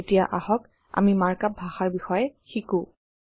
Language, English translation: Assamese, Now let us learn more about Mark up language